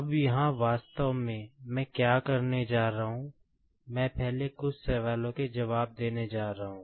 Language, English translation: Hindi, Now, here actually, what I am going to do, I am just going to give answer to the first few questions